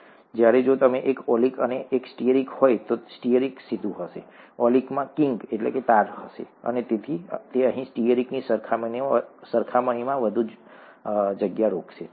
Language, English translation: Gujarati, Whereas, if it is one oleic and one stearic, the stearic is going to be straight, the oleic is going to have a kink, and therefore it is going to occupy more space compared to stearic here, okay